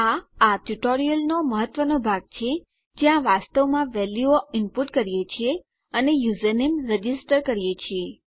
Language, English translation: Gujarati, This is the important part of the tutorial where we actually input our values and we register our username